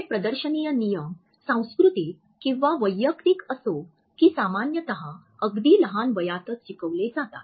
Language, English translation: Marathi, These display rules whether they are cultural or personal are usually learnt at a very young age